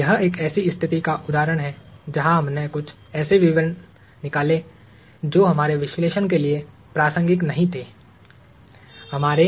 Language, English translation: Hindi, This is an example of a situation, where we threw out certain details that were not relevant to our analysis